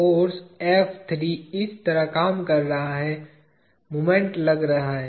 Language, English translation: Hindi, Force F3 is acting like this, moment is acting